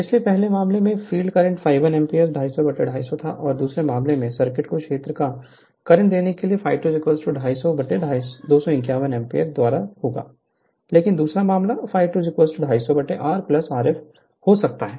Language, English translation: Hindi, So, for first case, field current was 1 ampere 250 upon 250 and in the second case, circuit the figure a the field current I f 1 will be 250 upon 251 ampere, but second case, I f 2 will be 250 upon R plus f R f